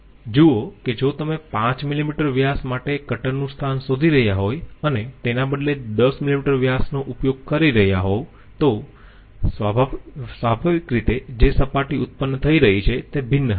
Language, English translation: Gujarati, See if you are finding out the cutter location for 5 millimeter diameter and using 10 millimeter diameter instead, naturally the surface which is going to be produced it is going to be different